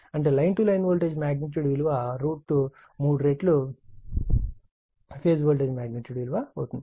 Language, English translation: Telugu, And line to line voltage is equal to root 3 times the phase voltage right